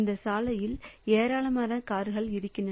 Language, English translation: Tamil, So, all this road has got a number of cars